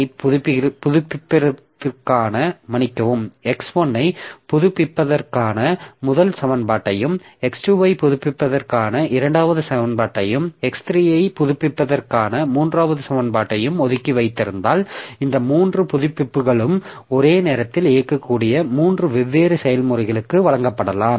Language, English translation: Tamil, So, if we reserve the first equation for updating x1, second equation for updating x2 and third equation for updating x3, then these three updates may be given to three different processes that can execute concurrently and that way we so there we can have speed up